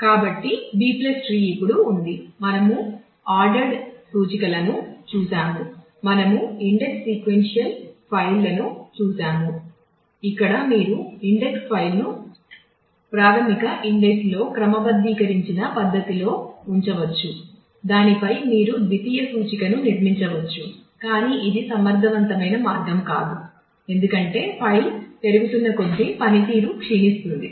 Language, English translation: Telugu, We have seen the index sequential files, where you could keep the index file in a sorted manner in the primary index you could build secondary index on that and so, on, but that is not an efficient way of doing things, because the performance keeps on degrading as the file grows